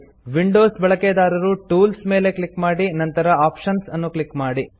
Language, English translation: Kannada, Windows users can click on Tools and then on Options